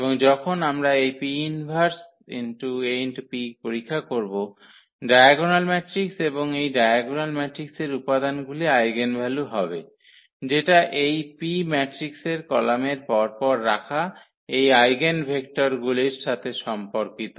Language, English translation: Bengali, And when we check this P inverse AP that will be nothing, but the diagonal matrix and entries of these diagonal matrix will be just the eigenvalues, corresponding to these eigenvectors we have placed in the sequence as columns of this matrix P